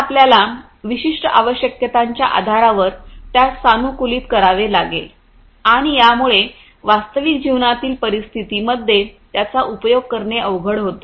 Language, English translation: Marathi, So, you have to customize them based on certain requirements and that makes it you know difficult for use in real life industry scenarios